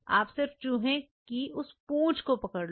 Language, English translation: Hindi, What you do you just take that tail of the RAT